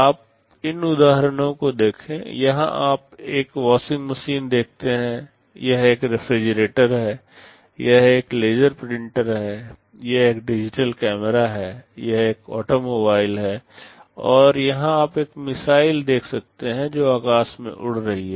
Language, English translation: Hindi, You see these examples, here you see a washing machine, this is a refrigerator, this is a laser printer, this is a digital camera, this is an automobile and here you can see a missile that is flying through the sky